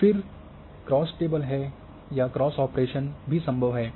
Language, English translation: Hindi, And there are also cross tables we call or cross operations are possible